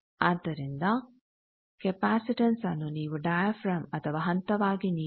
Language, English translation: Kannada, So, capacitance you can give either by a diaphragm or by step